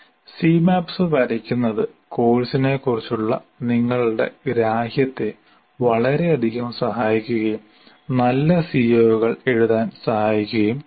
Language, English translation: Malayalam, But drawing C Maps can greatly facilitate your understanding of the course and in writing good COs